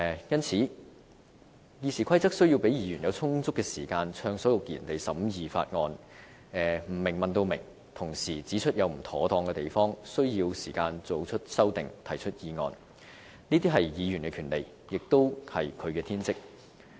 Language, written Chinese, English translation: Cantonese, 因此，《議事規則》需要給予議員充足時間暢所欲言地審議法案，不明白的便問至明白，同時指出不妥當之處，需要時間作出修訂、提出議案，這些是議員的權利，也是議員的天職。, Hence RoP needs to give Members sufficient time to freely debate on bills during the scrutiny . Members will have to seek clarifications from the Government for any ambiguities and point out deficiencies of the proposed bills . They will need time to put forward amendments to bills and to propose motions